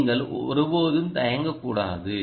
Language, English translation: Tamil, you should never hesitate to do that